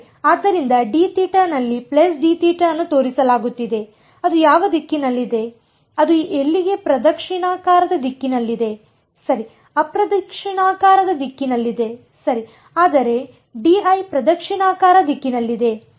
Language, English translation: Kannada, Right so, d theta is pointing in the plus d theta is in which direction it is in the clockwise direction over here right anticlockwise direction right, but d l is in the clockwise direction right